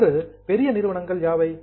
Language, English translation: Tamil, Today which are the big companies